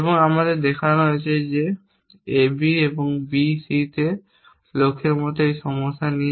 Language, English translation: Bengali, And we are shown that with the problem like this with the goal like on A B and on B C